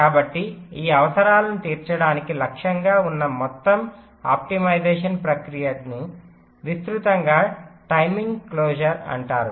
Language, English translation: Telugu, ok, so the overall optimisation process that targets to meet these requirements is broadly refer to as timing closer